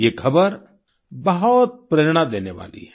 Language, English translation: Hindi, This news is very inspiring